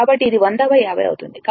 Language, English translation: Telugu, So, it will be your 100 by 50